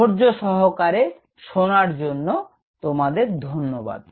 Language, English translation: Bengali, Thank you for a patience listening